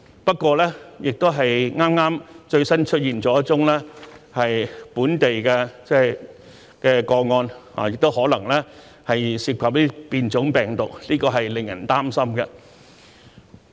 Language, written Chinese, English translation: Cantonese, 不過，剛剛又出現了一宗本地確診個案，而且可能涉及變種病毒，令人擔心。, However there has just been another confirmed local case and it may involve a variant of the virus which is worrying